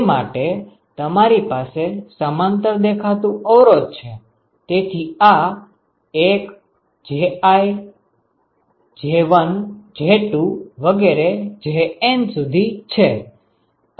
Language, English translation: Gujarati, Therefore, you have resistances which appear in parallel, so this is 1 J1, J2, etc up to JN